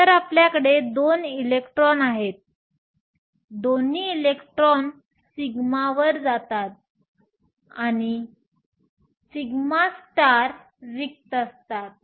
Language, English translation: Marathi, So, you have two electrons, both electrons go to sigma, and sigma star is empty